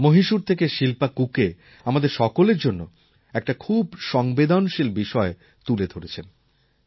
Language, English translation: Bengali, Shilpa Kukke from Mysore has raised a very humane issue